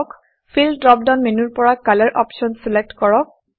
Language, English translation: Assamese, From the Fill drop down menu, select the option Color